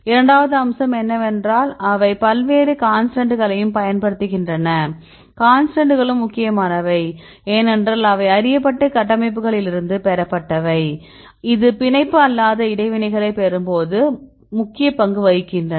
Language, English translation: Tamil, Second aspect is they also use various constants, the constants also important because they derive from the a known structures right this is also plays a role when we get the non bond interactions